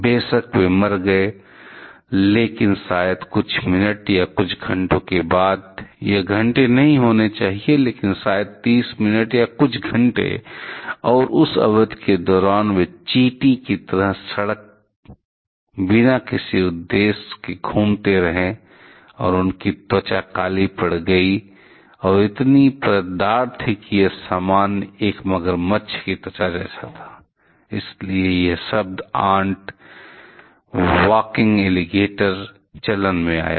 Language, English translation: Hindi, Of course, they died, but maybe after a few minutes or a few hours, it should not be hours, but maybe 30 minutes or couple of hours; and during that period, they kept on moving around the road quite aimlessly just like the ant and their skin was black and it was, so much scaled that it was something like an alligator skin; that is why this term ant walking alligator came into play